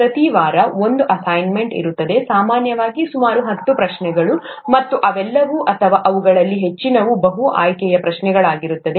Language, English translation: Kannada, There will be an assignment every week, typically about ten questions, and all of them or most of them would be multiple choice questions